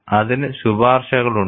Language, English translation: Malayalam, There are recommendations for that